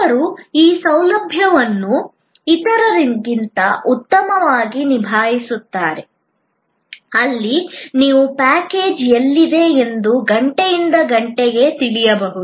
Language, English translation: Kannada, Some provide this facility much better than others, where you can know almost hour by hour where your package is